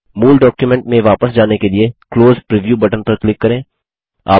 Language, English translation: Hindi, To get back to the original document, click on the Close Preview button